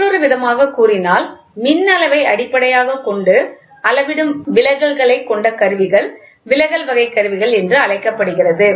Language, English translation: Tamil, In other words, the instruments in which that deflection provides the basis for measuring the electrical quantity is known as deflection type instruments